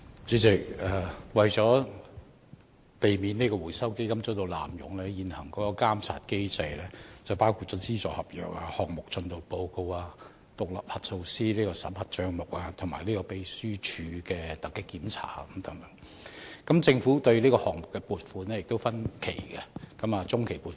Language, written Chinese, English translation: Cantonese, 主席，為免基金被濫用，現行的監察機制包括簽署資助合約、提交項目進度報告、委任獨立核數師審核帳目，以及秘書處進行突擊檢查等，而政府亦會就項目分期撥款，包括批予中期及終期撥款。, President to avoid abuse of the Fund the existing monitoring mechanism includes the signing of funding agreements the submission of project progress reports the appointment of independent auditors for accounts auditing and random inspections by the secretariat of the Fund . And the Government will also disburse project funding in phases including mid - term payments and final payments